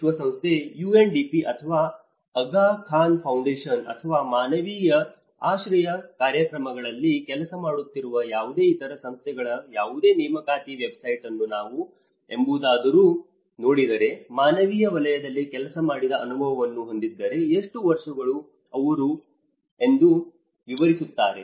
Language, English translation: Kannada, If we ever look at any recruitment website of United Nations, UNDP or Aga Khan Foundation or any other agencies who are working on the humanitarian shelter programs, they often describe that if you have an experience working in the humanitarian sector, how many years